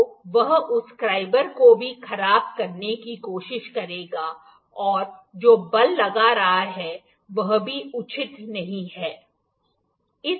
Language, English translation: Hindi, So, it would it would try to deteriorate this scriber as well and also the force that is exerting is not proper